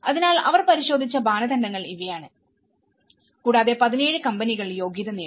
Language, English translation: Malayalam, So, this is how these are the criteria they have looked at and they qualified 17 of the companies